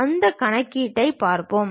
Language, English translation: Tamil, We will see that calculation